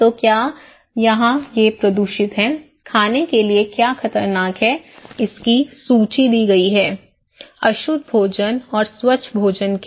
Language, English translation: Hindi, So, here what is polluted, what is dangerous to eat are given the list; unclean food and clean food, okay